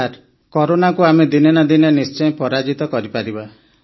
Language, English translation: Odia, Sir, one day or the other, we shall certainly defeat Corona